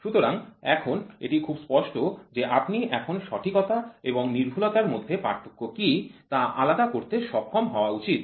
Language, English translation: Bengali, So, now, it is very clear you should be now able to distinguish what are the difference between accuracy and precision